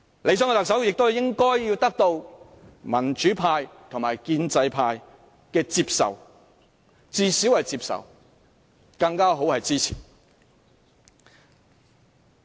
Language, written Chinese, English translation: Cantonese, 理想的特首亦應獲得民主派及建制派的接受，至少要獲他們接受，能獲支持當然更佳。, An ideal Chief Executive should also be acceptable to both the pro - democracy camp and the pro - establishment camp at least and it is even better if he can have their support